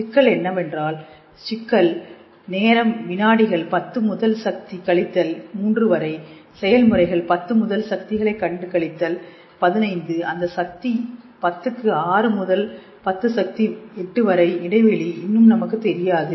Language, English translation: Tamil, The higher level the problem is that the problem is that the scale time is in milliseconds 10 to the power minus 3, quantum processes happen at 10 to the power minus 12, minus 15, that gap of 10 to the power 6 to 10 to the power 8 is still we do not know, but still it is very very alluring thing